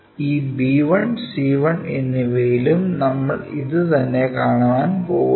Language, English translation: Malayalam, And this b 1, c 1 also we are going to see the same thing